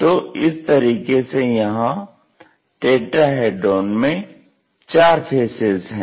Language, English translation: Hindi, So, in that way we have this tetrahedron fourth faces